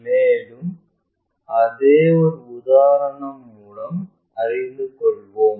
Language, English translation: Tamil, And, let us learn that through an example